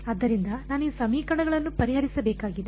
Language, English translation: Kannada, So, I need to solve these equations